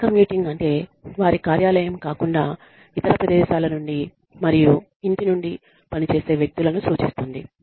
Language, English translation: Telugu, Telecommuting refers to, people working from home, people working from locations, other than their office